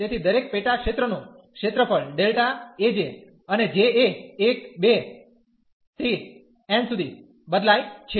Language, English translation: Gujarati, So, the each the sub region will have area delta A j and j varies from 1, 2, n